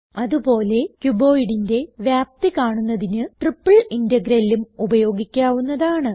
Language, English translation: Malayalam, Similarly, we can also use a triple integral to find the volume of a cuboid